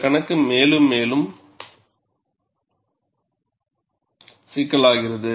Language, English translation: Tamil, The problem becomes more and more complex